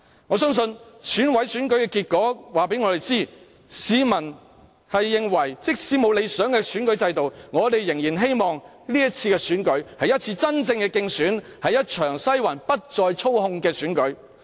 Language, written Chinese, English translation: Cantonese, 我相信選委會選舉的結果告知我們，市民認為，即使沒有理想的選舉制度，但仍然希望這次選舉會是一次真正的競選，是一場不再被西環操控的選舉。, I believe the results of the Election Committee election has informed us one thing that is people still hope that the upcoming Chief Executive election will be a genuine election no longer manipulated by the Western District even in the absence of an ideal election system